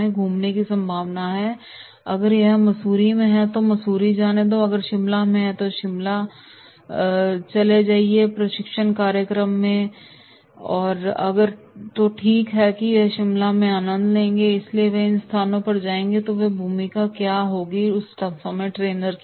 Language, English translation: Hindi, Okay, if it is in Mussoorie so let us go to Mussoorie, if it is in Shimla then let us go to the training program in Shimla so okay we will enjoy Shimla so they will go to these places then what will be the role of the trainer